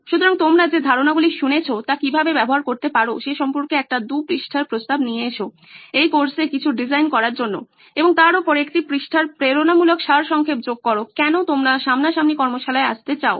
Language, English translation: Bengali, So come up with a 2 page proposal on how you might use the concepts that you have listened to in this course to design something and on top of that add a one page motivational summary on why you want to come to a face to face workshop